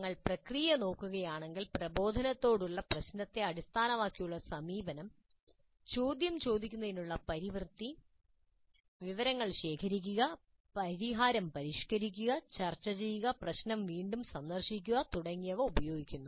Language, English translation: Malayalam, Then if you look at the process the problem based approach to instruction uses cycle of asking questions, information gathering, refining the solution, discussion, revisiting the problem and so on